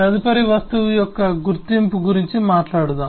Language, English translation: Telugu, next we will talk about the identity of an object